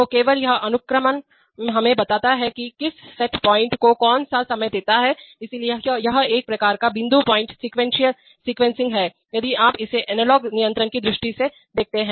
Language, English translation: Hindi, So only this sequencing tells us that what set point to give at what time, so it is a kind of you know set point sequencing if you look at it from the analog control point of view